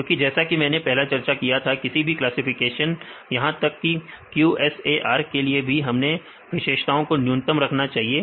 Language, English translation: Hindi, Because as I discussed earlier, we should minimize the features for any classifications even the QSAR we also discussed